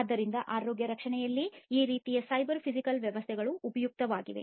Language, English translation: Kannada, So, that is where you know in healthcare this kind of cyber physical systems can be useful